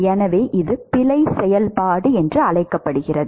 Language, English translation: Tamil, It is called error function